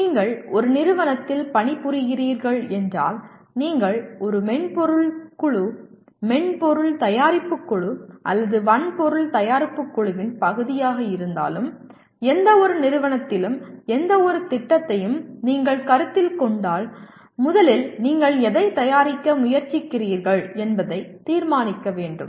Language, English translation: Tamil, If you are working in a company, whether you are a part of a software team, software product team or a hardware product team, if you are considering any project in any company, the first thing is to decide what exactly are you trying to produce